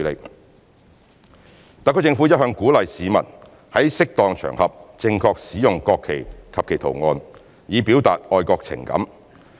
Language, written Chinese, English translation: Cantonese, 二及三特區政府一向鼓勵市民在適當場合正確使用國旗及其圖案，以表達愛國情感。, 2 and 3 The HKSAR Government has been encouraging members of the public to use the national flag and its design properly on appropriate occasions with a view to expressing their patriotic feelings